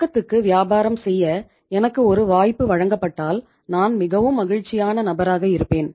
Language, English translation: Tamil, If given a chance to me to do the business on cash I would be the happiest person